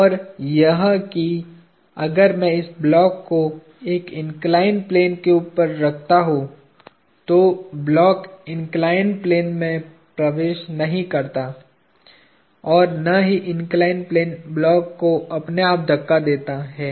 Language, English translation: Hindi, And that if I place this block on top of an inclined plane, the block does not penetrate into the inclined plane neither does the inclined plane push the block by itself